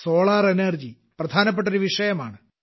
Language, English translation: Malayalam, Solar energy has also demonstrated that